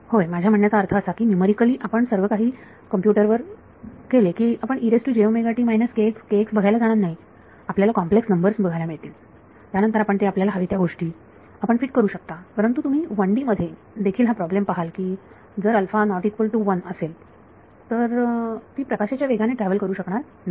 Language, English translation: Marathi, Yeah I mean numerically once we have put it along to the computer we are no longer going to see e to the j k x or e to the j omega t they are going to see numbers complex numbers then you can fit whatever thing you want to do it, but you will find that even a 1D problem if alpha is not equal to 1 right it is not travelling at the speed of light